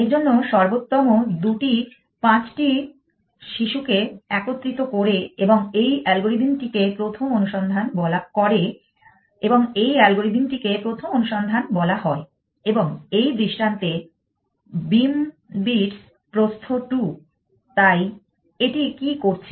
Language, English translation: Bengali, For this again thing the best two cumulate five children and move on this algorithm is called main search and this elastration has beam bits width into 2, so what have it done